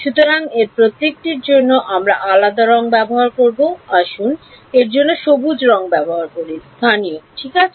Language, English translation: Bengali, So, each of these we will use a different color for let us use the green color for local ok